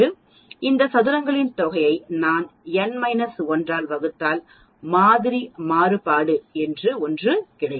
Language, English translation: Tamil, If I divide this sum of squares by n minus 1 we get something called sample variance